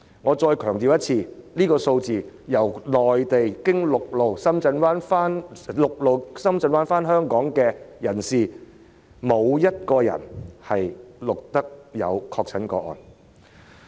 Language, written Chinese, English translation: Cantonese, 我再次強調，這是由內地循陸路經深圳灣口岸回港人士的數字，沒有一人確診。, I stress again that this is the figure of people who have returned to Hong Kong from the Mainland through the Shenzhen Bay Checkpoint on land . Not a single person has been infected